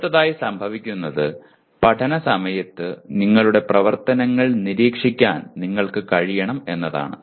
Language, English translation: Malayalam, Then what happens next is you should be able to monitor your activities during learning